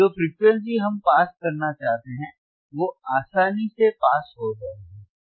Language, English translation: Hindi, Frequencies that we want to pass will easily pass